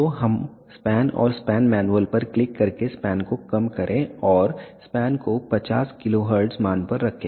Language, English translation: Hindi, So, let us reduce the span click on span and span manual and let us keep the span to 50 kilohertz value